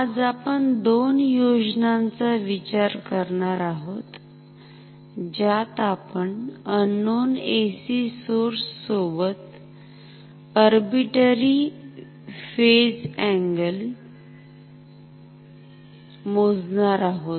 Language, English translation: Marathi, Today we are going to look at two schemes with which we can measure an unknown AC source with arbitrary phase angle ok